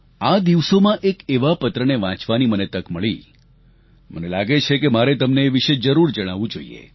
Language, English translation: Gujarati, Recently, I had the opportunity to read a letter, which I feel, I should share with you